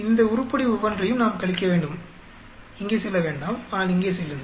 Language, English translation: Tamil, We have to subtract each one of these item do not go here, but go here